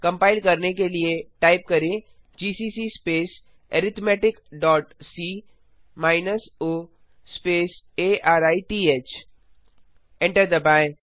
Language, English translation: Hindi, To compile, typegcc space arithmetic dot c minus o space arith